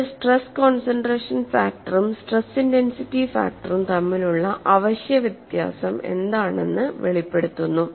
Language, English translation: Malayalam, So, this brings out what is the essential difference between stress concentration factor and stress intensity factor